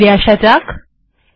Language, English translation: Bengali, Lets go back here